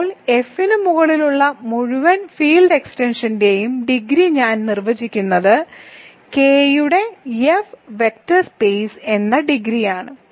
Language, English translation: Malayalam, Now, I am defining the degree of the entire field extension over F is simply the dimension of K as an F vector space ok